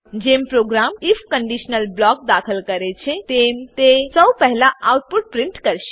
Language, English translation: Gujarati, Once the program enters the if conditional block, it will first print the output